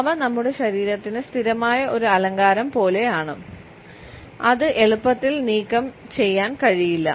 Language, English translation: Malayalam, They are like a permanent decoration to our body which cannot be easily removed